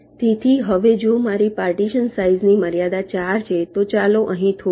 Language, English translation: Gujarati, so now if my partition size constraint is four, let say stop here